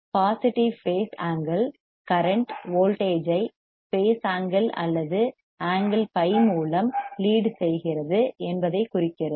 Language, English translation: Tamil, The positive phase angle indicates that the current leads the voltage by phase angle or by angle phi